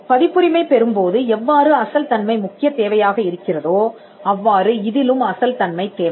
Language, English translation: Tamil, It is a requirement like the original originality requirement in copyright